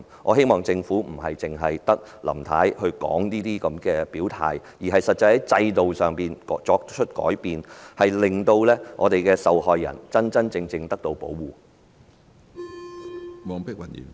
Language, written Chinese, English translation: Cantonese, 我希望整個政府不是只有林太發言表態，而是在制度上作出實質改善，讓受害人得到真正有效的保護。, I hope that the Government can do more than merely having Mrs LAM speak on the issue to state her position openly . It should make substantial improvements in our system to provide victims with genuinely effective protection